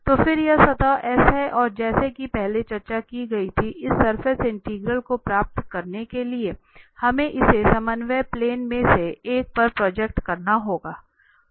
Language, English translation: Hindi, So then this is the surface S and as discussed before, to get this surface integral, we have to project it on one of the coordinate plane